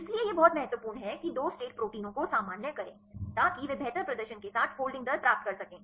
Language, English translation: Hindi, So it is very important normalize the 2 state proteins right they to get the folding rates with better performance